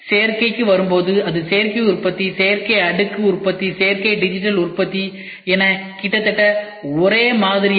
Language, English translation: Tamil, When it comes to additive, it is Additive Manufacturing, Additive Layer Manufacturing, Additive Digital Manufacturing it is almost the same